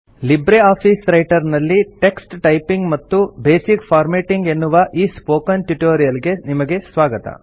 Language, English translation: Kannada, Welcome to the Spoken tutorial on LibreOffice Writer – Typing the text and basic formatting